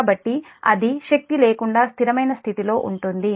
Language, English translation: Telugu, so that is without energy steady state condition